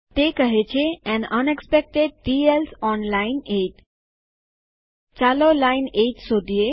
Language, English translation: Gujarati, It says an unexpected T else on line 8 Lets find line 8